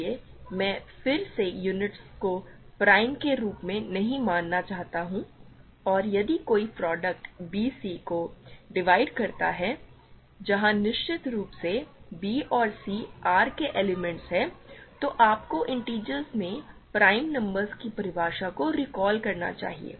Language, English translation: Hindi, So, I again do not want to consider units as primes and if a divides a product bc where of course, b and c are elements of R this should recall for you the definition of prime numbers in integers